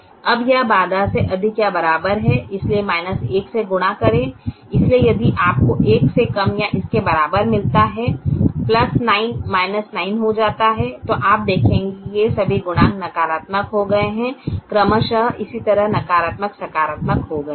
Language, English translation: Hindi, therefore, multiply with minus one, so if you get a less than or equal to the plus nine becomes minus nine, and you will see that all these coefficients have become correspondingly negative and positive respectively